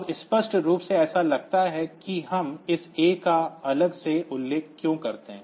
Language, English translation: Hindi, Now apparently it seems that why do we mention this A separately